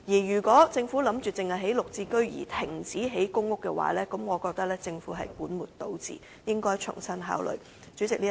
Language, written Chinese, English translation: Cantonese, 如果政府只打算興建"綠置居"單位而停建公屋，我認為這是本末倒置，應重新考慮。, If the Government only intends to build GSH units and cease PRH construction I think this is tantamount to putting the cart before and horse and the Government should reconsider this idea